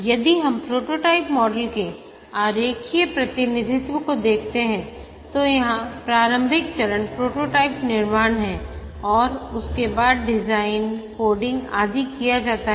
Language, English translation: Hindi, If we look at the diagrammatic representation of the prototyping model, the initial phase here is prototype construction and after that the design, coding, etc